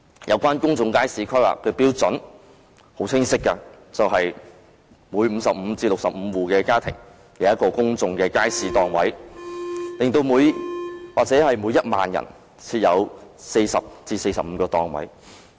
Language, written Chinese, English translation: Cantonese, 有關公眾街市規劃的標準是很清晰的，每55至65戶的家庭，便有一個公眾街市檔位，或每1萬人，便設有40至45個檔位。, The relevant planning standard for public markets is quite clear that is providing one public market stall for every 55 to 65 households or 40 to 45 stalls for every 10 000 persons